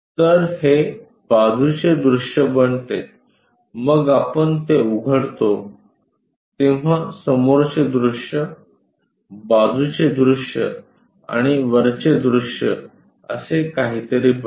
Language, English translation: Marathi, So, this becomes side view, then we open it it becomes something like, front view, side view and top view